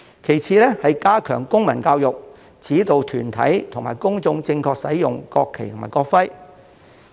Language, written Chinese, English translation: Cantonese, 其次是加強公民教育，指導團體及公眾正確使用國旗和國徽。, Secondly civic education should be strengthened to provide guidance to organizations and the public on the correct use of the national flag and national emblem